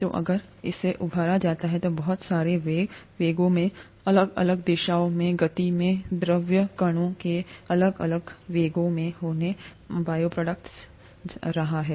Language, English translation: Hindi, So if it is stirred, there is going to be a lot of velocities, velocities in, speeds in different directions, different velocities of the fluid particles in the bioreactor